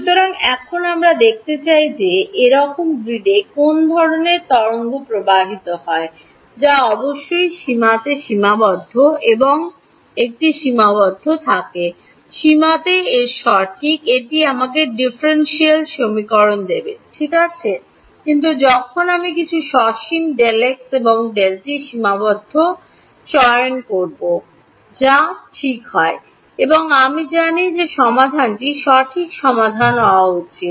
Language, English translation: Bengali, So, now, we want to see what kind of a wave flows on such a grid which has a finite delta x and a finite delta t in the limit of course, its correct right in the limit it will give me the differential equation, but when I choose some finite delta x and finite delta t what happens ok, and I know what the solution should be right solution should be a wave ok